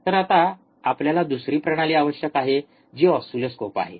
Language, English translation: Marathi, So now, we need another system which is oscilloscopes